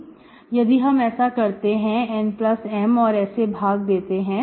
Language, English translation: Hindi, If you do N plus M, you divide it